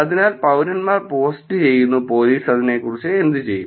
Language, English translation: Malayalam, So, citizens post and what do police do about it